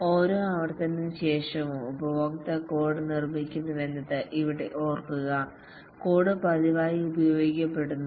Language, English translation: Malayalam, And remember here that after each iteration the customer makes the code, puts the code into regular use